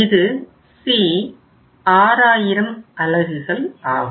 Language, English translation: Tamil, This is 6000 units